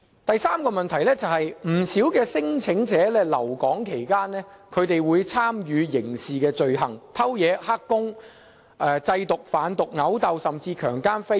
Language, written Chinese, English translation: Cantonese, 第三個問題是，不少聲請者在留港期間參與刑事罪行，例如偷竊、當"黑工"、製毒、犯毒、毆鬥，甚至強姦和非禮。, Third many claimants have commit crimes during their stay in Hong Kong such as stealing illegal employment drug manufacturing drug related crimes affray or even rape and indecent assault